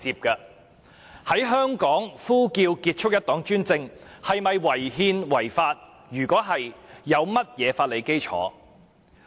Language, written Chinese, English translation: Cantonese, 在香港呼叫"結束一黨專政"口號是否屬違憲和違法？, Is chanting the end the one - party dictatorship slogan unconstitutional and unlawful in Hong Kong?